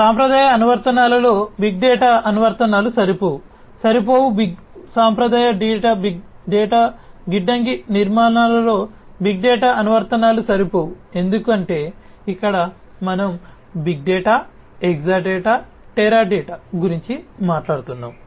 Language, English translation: Telugu, Big data apps cannot be fit in traditional applications, cannot be fit big data applications cannot be fit in traditional data warehouse architectures because here we are talking about large volumes of data, Exadata, Teradata and so on